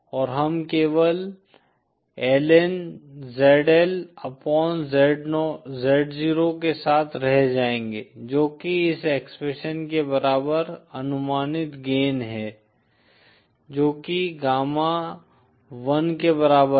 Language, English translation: Hindi, And we will be left simply with lnzl upon z0 which is gain approximately equal to this expression, which is equal to gamma l